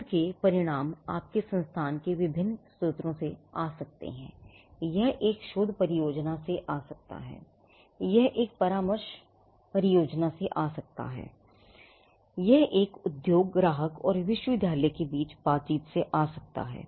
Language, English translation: Hindi, Now, the research results may come from different sources within your institution, it may come from a research project, it may come from a consultancy project, it could come from interaction between an industry client and the university